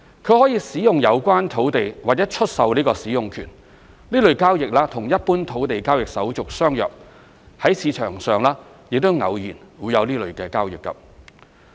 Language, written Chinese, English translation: Cantonese, 他可以使用有關土地或出售這個使用權，這類交易與一般土地交易手續相若，在市場上亦偶有這類交易。, He may make use of the land or sell to others such right to use of the land . This kind of transactions have formalities similar to that of other land transactions in general and are occasionally seen in the market